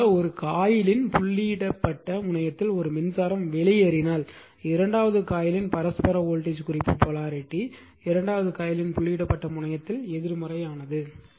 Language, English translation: Tamil, If a current enters the dotted terminal of one coil , the reference polarity of the mutual voltage right in the second coil is positive at the dotted terminal of the second coil